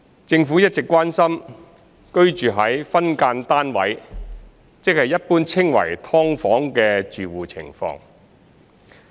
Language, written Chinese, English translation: Cantonese, 政府一直關心居於"分間單位"住戶的情況。, The Government has all along been concerned about the situation of households living in subdivided units